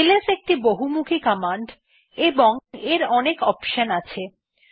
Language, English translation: Bengali, ls is a very versatile command and has many options